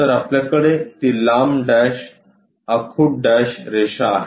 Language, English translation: Marathi, So, we have that long dash short dash line